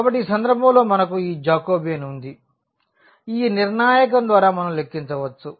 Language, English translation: Telugu, So, in this case we have this Jacobian now which we can compute by this determinant